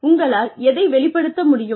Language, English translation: Tamil, What you are able to express